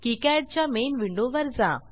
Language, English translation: Marathi, Now go to KiCad main window